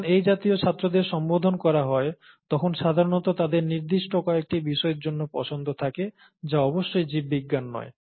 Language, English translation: Bengali, And, when, such students are addressed, there is usually a preference in them for certain subjects, which is certainly not biology